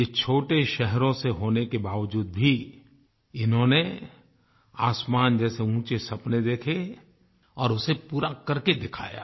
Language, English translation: Hindi, Despite hailing from small cities and towns, they nurtured dreams as high as the sky, and they also made them come true